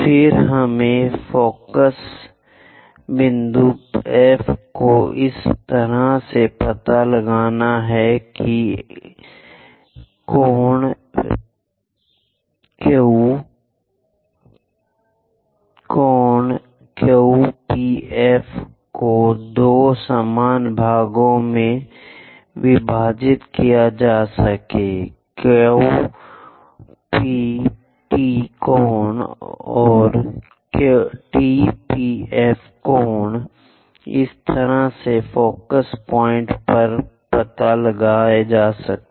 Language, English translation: Hindi, Then we have to locate focus point, focal point F such a way that, angle Q P, angle Q P F is divided into two equal parts by angle Q P T and angle T P F; this is the way one has to locate focus point